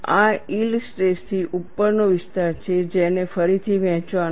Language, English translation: Gujarati, This is the area above the yield stress that has to be redistributed